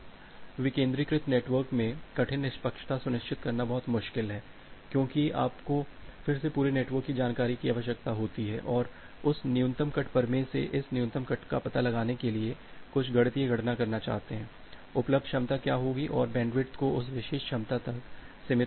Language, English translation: Hindi, Now in a decentralized network, ensuring hard fairness is very difficult because you again you require the entire network information and want do some mathematical calculation to find out this min cut from that min cut theorem, what would be the available capacity and restrict the bandwidth to that particular capacity